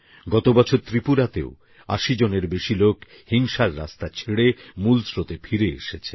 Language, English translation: Bengali, Last year, in Tripura as well, more than 80 people left the path of violence and returned to the mainstream